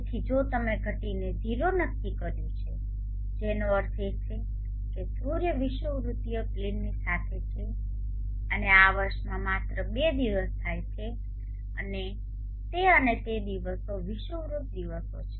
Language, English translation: Gujarati, So if you set declination is 0 which means the sun is along the equatorial plane and this occurs only on two days in a year and that and those days are the equinoxes days